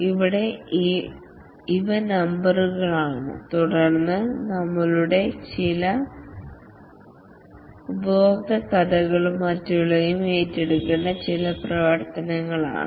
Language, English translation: Malayalam, And then a description, some of our user stories and the others are some activities to be undertaken